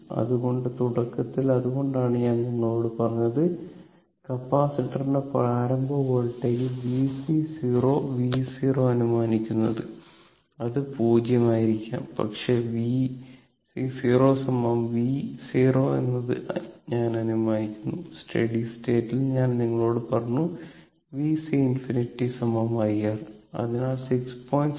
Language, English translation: Malayalam, So, in this case your, so initially that is why I told you that v c your and initially we will assume that initial voltage of the capacitor was v c 0 is equal to v 0 that we are assuming it, it may be 0 also, but we are assuming that v c 0 is equal to v 0 right and at steady state I told you, v c infinity is equal to I R